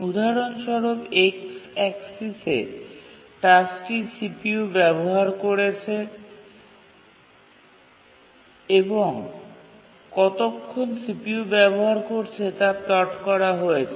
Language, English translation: Bengali, On the x axis here we have plotted the tasks that are using CPU and for how long they are using the CPU